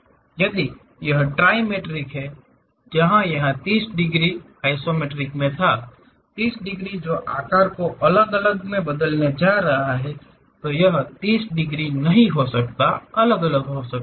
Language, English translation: Hindi, If it is trimetric, where this 30 degrees iso, 30 degrees is going to change in different size; it may not be 30 degrees, differently it varies